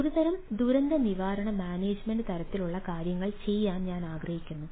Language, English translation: Malayalam, right, like i want to do some sort of a disasters management type of things